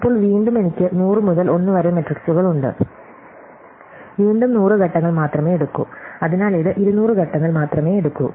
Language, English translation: Malayalam, And now, again I have a 1 by 1 times of 100 by 1 matrices, so again it takes only 100 steps, so this takes only 200 steps